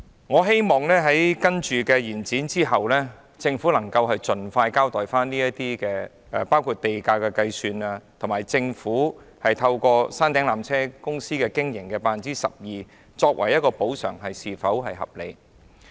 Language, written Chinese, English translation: Cantonese, 我希望在延展審議期後，政府能盡快作出交代，包括地價的計算及以山頂纜車總營運收入 12% 按年收取，是否合理的做法。, I hope that following the passage of the motion on the extension of scrutiny period the Government will give a detailed account on the calculation of land premium and whether the annual land premium consideration at 12 % of the total revenue of the peak tramway operation is reasonable